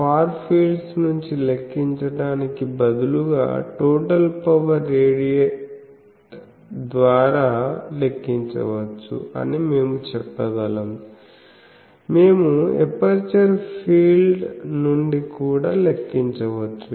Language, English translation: Telugu, So, we can say that total power radiated instead of calculating from the far fields, we can also calculate from the aperture fields